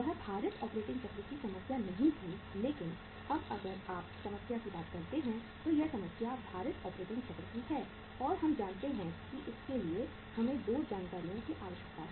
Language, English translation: Hindi, It was not a weighted operating cycle but now if you talk about the say problem it is the problem of the weighted operating cycle and we know it that we need 2 informations